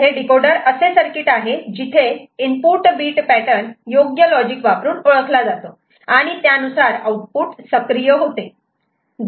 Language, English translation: Marathi, So, this decoder is a circuit where the input bit pattern is identified by an appropriate logic and the output will be accordingly activated